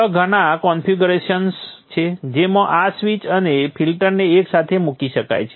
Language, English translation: Gujarati, There are many configurations in which this switch and the filter can be put together